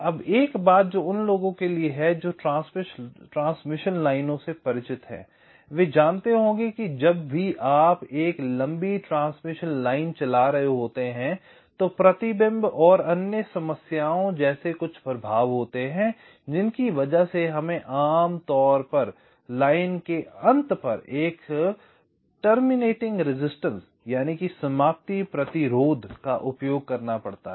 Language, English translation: Hindi, right now, one thing now, for those who are familiar with transmission lines, will be knowing that whenever you are driving a long transmission line, there are some effects like reflection and other problems, because of which we normally have to use a terminating resistance at the end of the line